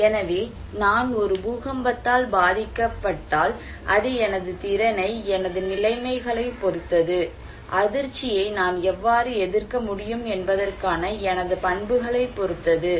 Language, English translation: Tamil, So, if I am hit by an earthquake, it depends on my capacity, on my conditions, my characteristics that how I can resist the shock